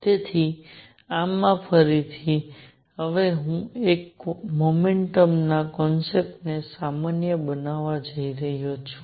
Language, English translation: Gujarati, So, in this again, now I am going to now first generalize the concept of momentum